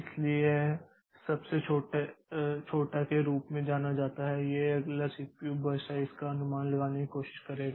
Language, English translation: Hindi, So, that it is known as the shortest remains, it will try to predict the next CPU burst size